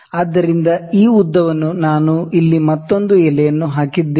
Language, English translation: Kannada, So, this length I have put another leaf here